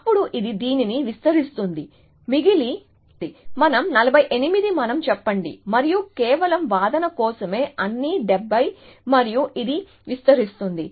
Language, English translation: Telugu, Then, it expands this one, remains 48 let us say and just for argument sake, let say these are all 70 and it expands this